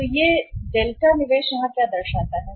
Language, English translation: Hindi, This is investment so what delta signifies here